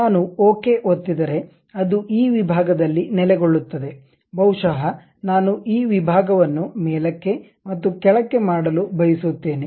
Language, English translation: Kannada, If I click Ok it settles at this section, perhaps I would like to really make this section up and down